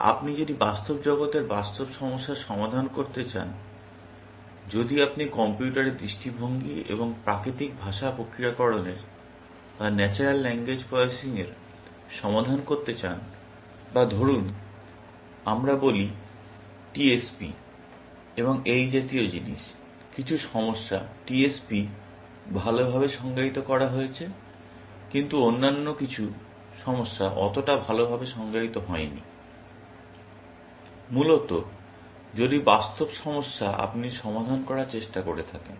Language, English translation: Bengali, If you solve real problems in the real world, if you want solve computer vision and natural language processing, or let us say, TSP, and things like that; some of the problems, TSP is well defined, but some of the other problems are not so well defined, essentially; the real world problem if you are trying to solve